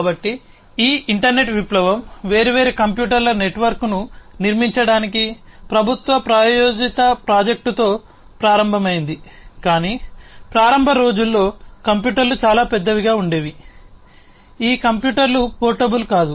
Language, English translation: Telugu, So, this internet revolution started with a government sponsored project to build a network of different computers, but in the early days the computers used to be very big in size, these computers were not portable